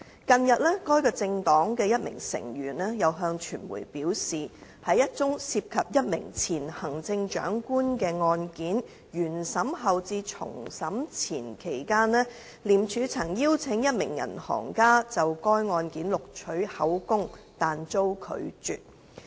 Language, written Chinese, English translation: Cantonese, 近日，該政黨的一名成員向傳媒表示，在一宗涉及一名前行政長官的案件原審後至重審前期間，廉署曾邀請一名銀行家就該案件錄取口供但遭拒絕。, Recently one member from that political party told the press that during the period after the completion of the first trial of a case involving a former Chief Executive and before the start of the retrial of that case ICAC had invited a banker to give statement in connection with that case but the invitation was declined